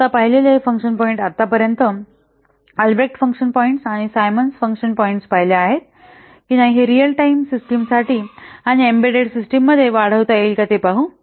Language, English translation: Marathi, Now let's see about the whether these function points so far we have seen the Albreast function points and the Simmons function points can they be extended to real time systems and embedded systems